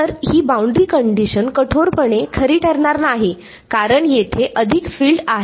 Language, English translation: Marathi, So, this boundary condition will not be strictly true because there are more fields over here